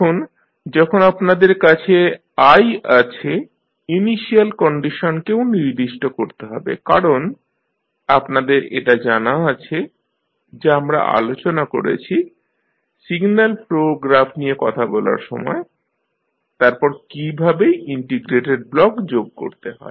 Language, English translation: Bengali, Now, when you have i you need to specify the initial condition also because you have this particular aspect we discussed when we were talking about the signal flow graph then how to add the integrated block